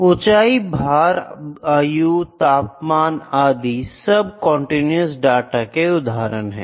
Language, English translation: Hindi, This is height, weight, age, temperature then time this is continuous data